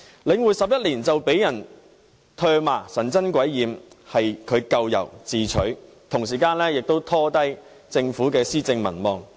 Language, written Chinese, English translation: Cantonese, 領匯成立11年就被人唾罵，神憎鬼厭，是咎由自取，同時亦拖累政府的施政和民望。, Eleven years after The Link REITs establishment it is now being scorned and spurned by the public but it only has itself to blame . At the same time the Governments administration and popularity have also suffered